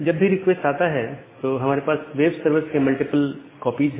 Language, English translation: Hindi, So, whenever the request comes, so we have multiple web servers multiple copies of the web servers